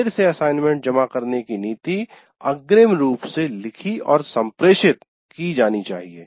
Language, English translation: Hindi, That late assignment submission policy should be written